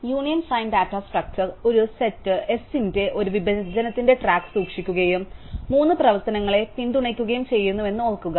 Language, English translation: Malayalam, So, recall that the union find data structure keep track of a partition of a set S and supports three operations